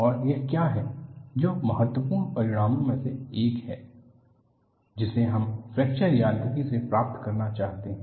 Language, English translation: Hindi, And this is what, one of the important results that we want to get from fracture mechanics